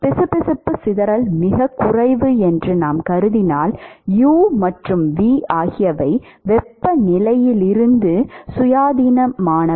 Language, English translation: Tamil, u and v if we assume that the viscous dissipation is 0 then u and v are completely independent of the temperature right